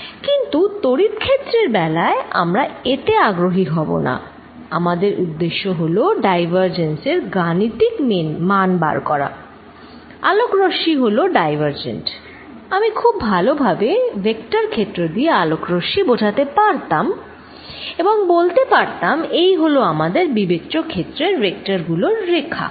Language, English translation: Bengali, But, for electric field we are not going to be interested in this, what we are interested is this diverging mathematical quantities, light rays are diverging I could very well placed light rays by vector field and say these are the lines representing vectors of this field we are considering